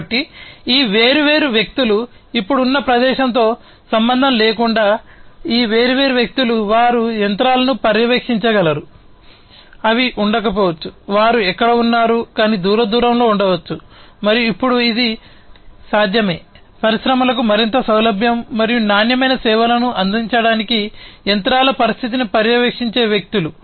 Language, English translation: Telugu, So, regardless of the location of where these different people are now it is possible that these different people, they can monitor the machines, which may not be located where they are, but might be located distance apart, and it is now possible for people to monitor the condition of the machines to provide more flexibility and quality services to the industries